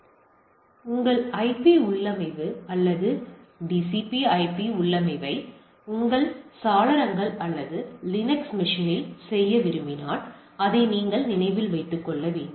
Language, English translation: Tamil, So, if you just recollect or remember that if you want to do your IP configuration or so to say TCP/IP configuration in your windows or Linux machine